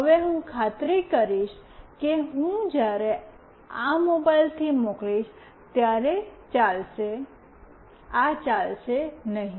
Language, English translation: Gujarati, Now, I will make sure that I will when I send it from this mobile, this will not run